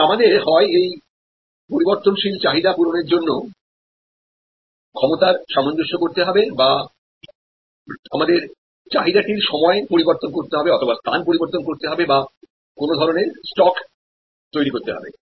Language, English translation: Bengali, And we have to either adjust the capacity to meet this variable demand or we have to manage the demand itself by shifting it in time, shifting it in space or create some kind of notional inventory